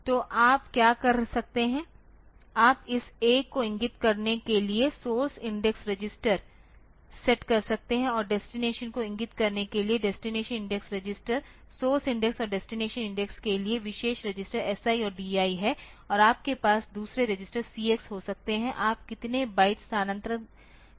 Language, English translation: Hindi, So, what you can do you can set the source index register to point to this one and the destination index register to point to the destination, there are special registers SI and DI for source index and destination index and you can have in another register CX how many bites you want to transfer